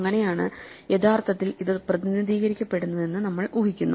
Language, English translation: Malayalam, Then this is how we would imagine it is actually represented